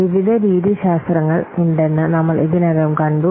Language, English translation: Malayalam, We have already seen that various methodologies are there